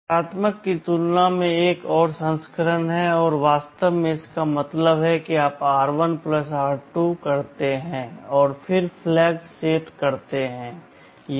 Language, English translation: Hindi, There is another version compare negative; actually it means you do r1 + r2 and then set the flags